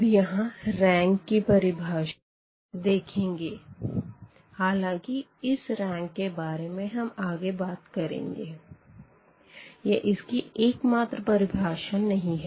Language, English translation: Hindi, So, having this let me just introduce here one definition though I can you will be talking more about this rank because this is not the only definition for rank